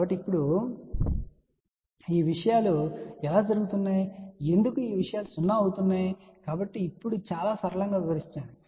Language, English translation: Telugu, So, now how these things are happening why these things are becoming 0 , so let me just explain in a very simple manner